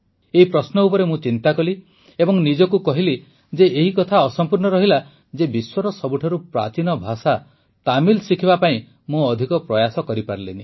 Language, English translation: Odia, I pondered this over and told myself that one of my shortcomings was that I could not make much effort to learn Tamil, the oldest language in the world ; I could not make myself learn Tamil